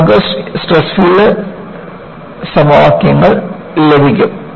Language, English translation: Malayalam, That is how; you will get the stress field equations